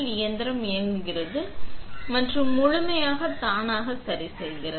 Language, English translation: Tamil, The machine runs and adjusts fully automatically